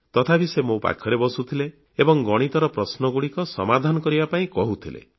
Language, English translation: Odia, Yet, she would sit by me and ask me to solve problems in Mathematics